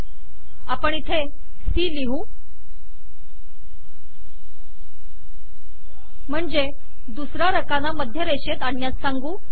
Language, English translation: Marathi, Lets put a c here, to say that the second column should be center aligned